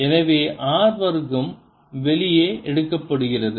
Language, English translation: Tamil, so r square is taken out